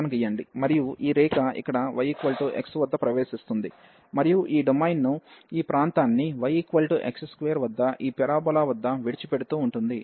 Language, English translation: Telugu, And this line will is entering here at y is equal to x and living this domain this region at y is equal to x square this parabola